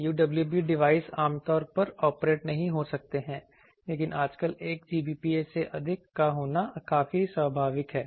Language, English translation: Hindi, Typically, UWB devices may operate not typically, but excess of 1 Gbps is quite natural nowadays